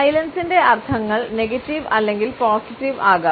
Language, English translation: Malayalam, The connotations of silence can be negative or positive